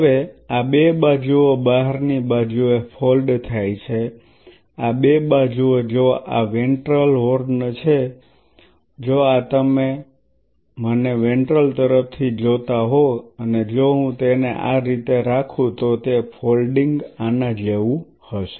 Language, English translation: Gujarati, Now, these two sides fold outward in other word these two sides if this is the ventral horn if this is you are looking at me at ventral side and if I keep it like this it will be folding will be like this